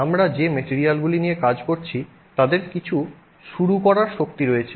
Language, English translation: Bengali, We have the materials that we are dealing with have some starting energy